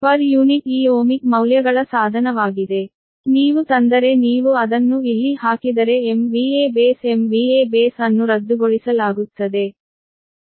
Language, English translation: Kannada, so if you, if you bring, if you put it here, the m v a base, m v a base will be cancelled